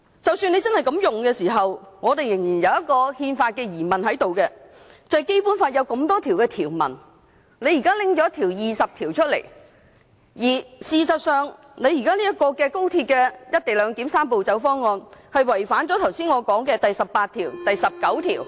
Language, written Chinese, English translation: Cantonese, 即使政府真的這樣引用條文，但我們仍有憲法上的疑問，便是政府現時在眾多《基本法》條文中引用第二十條，而現時高鐵"一地兩檢"的"三步走"方案違反了我剛才提過的第十八、十九條......, Even if the Government invokes the provision in such a way there is a constitutional problem which is among the many provisions in the Basic Law the Government now invokes Article 20 but the Three - step Process is in breach of Articles 18 19 and 22 that I have mentioned